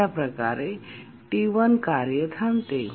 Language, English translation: Marathi, So, the task T1 waits